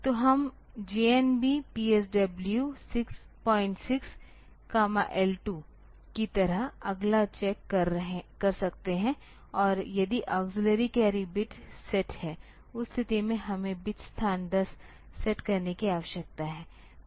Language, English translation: Hindi, So, we can do the next check like JNB; PSW dot 6 comma L 2 and if the auxiliary carry bit is set; in that case we need to set bit location 10